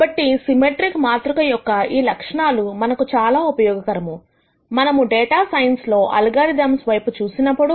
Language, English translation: Telugu, So, these properties of symmetric matrices are very useful for us when we look at algorithms in data science